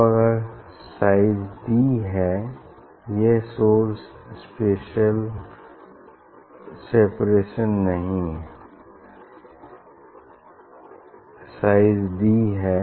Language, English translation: Hindi, Now, if source size is d it is not source separation; size is d